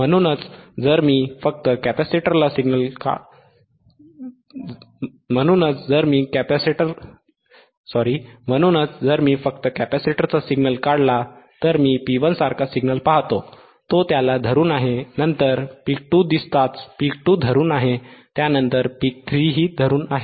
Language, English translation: Marathi, tThat is why, if I just draw the capacitor signal, then what I look at it I look at the signal like P 1 then it, it is holding it, then as soon as peak 2 appears peak 2 holding it, peak 3 holding it